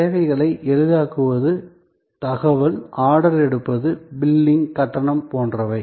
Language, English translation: Tamil, So, facilitating services are like information, order taking, billing, payment, etc